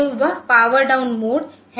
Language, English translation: Hindi, So, that is the power down mode